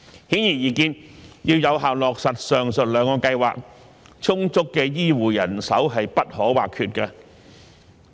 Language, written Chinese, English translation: Cantonese, 顯而易見，要有效落實上述兩個計劃，充足的醫護人手不可或缺。, For the aforesaid two plans to be implemented effectively it is clear that we must have sufficient healthcare personnel